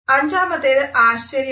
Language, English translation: Malayalam, Number 5 is surprise